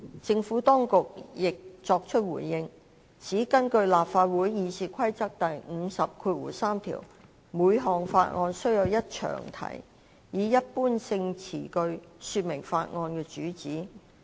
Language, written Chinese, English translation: Cantonese, 政府當局亦作出回應，指根據立法會《議事規則》第503條，每項法案須有一詳題，以一般性詞句說明該法案的主旨。, The Administration has also responded that under Rule 503 of the Rules of Procedure of the Legislative Council every bill must have a long title setting out the purposes of the bill in general terms